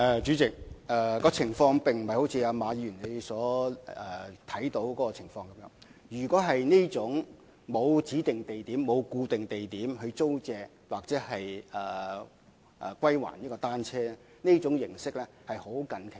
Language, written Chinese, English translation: Cantonese, 主席，情況並非一如馬議員所見，因為若說是沒有指定或固定地點租借或歸還單車的服務，這種形式確實是在非常近期出現。, President things are not like what Mr MA has observed because the operating mode of not requiring people to rent and return bicycles at designated or fixed locations is honestly a service that has emerged only very recently